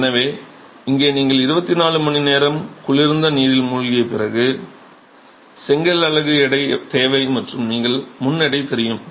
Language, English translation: Tamil, So, here you require the weight of the brick unit after immersion in cold water for 24 hours and you know the weight before